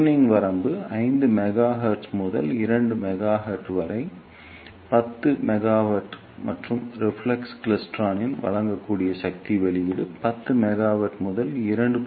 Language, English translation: Tamil, And the tuning range is from 5 gigahertz at to watt to 30 gigahertz at 10 mili watt and the power output that can be given by a reflex klystron is from 10 mili volt to 2